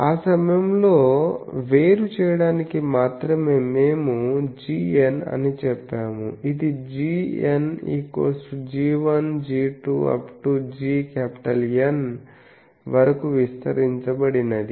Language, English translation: Telugu, Only to distinguish that time we said g n it was expanded as g 1, g 2 etc